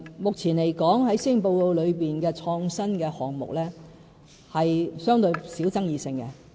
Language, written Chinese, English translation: Cantonese, 目前來說，施政報告提及的創新項目是相對爭議性較少的。, The innovative initiatives set out in the Policy Address are in fact the less controversial ones at present